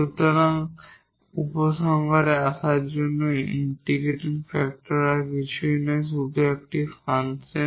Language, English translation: Bengali, So, coming to the conclusion the integrating factor is nothing, but a function here